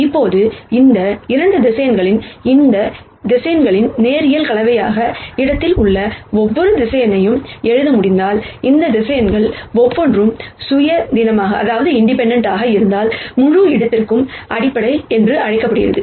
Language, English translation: Tamil, Now, these 2 vectors are called the basis for the whole space, if I can write every vector in the space as a linear combination of these vectors and these vectors are independent of each of them